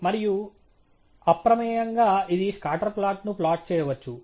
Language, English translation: Telugu, And by default, it may plot a scatter plot